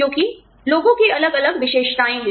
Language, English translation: Hindi, Because, people have different characteristics